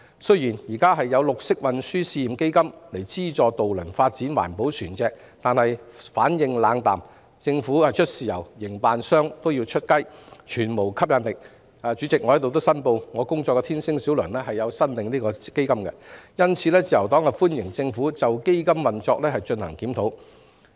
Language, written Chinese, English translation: Cantonese, 雖然現時有綠色運輸試驗基金資助渡輪發展環保船隻，但業界反應冷淡，因為政府只是出"豉油"，卻要營辦商出"雞"，故全無吸引力可言——主席，我在此申報，我工作的天星小輪有限公司亦有申請該項基金——因此，自由黨歡迎政府就基金運作進行檢討。, Although there is currently the Pilot Green Transport Fund to subsidize ferry operators to develop environmentally friendly vessels the response from the industry is lukewarm because the offer is unattractive at all as the Government is asking the operators to pay for the chicken while it pays only for the soy sauce so to speak―President I hereby declare that the Star Ferry Company Limited which I work for has also applied for the Fund―Therefore the Liberal Party welcomes the Government to review the operation of the Fund